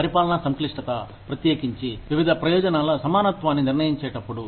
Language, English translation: Telugu, Administrative complexity, especially, when determining equivalence of various benefits